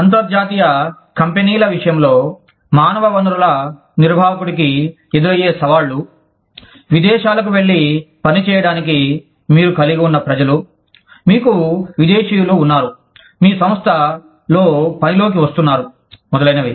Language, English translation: Telugu, What are the challenges, that human resources managers face, in the context of international companies, where you have people, going abroad to work by, you have foreigners, coming into work in your organization, etcetera